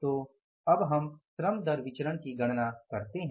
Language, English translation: Hindi, Then we had to calculate the labor cost variance